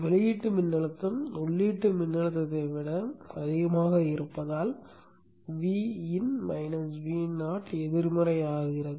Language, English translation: Tamil, Why do we say it is falling because the output voltage is greater than the input voltage